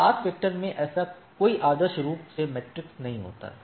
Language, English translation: Hindi, In path vector there is no such ideally matrix